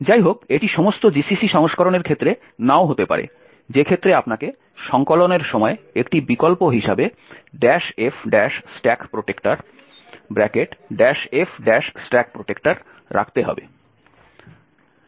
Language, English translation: Bengali, However, this may not be the case for all GCC versions in which case you have to put minus f stack protector as an option during compilation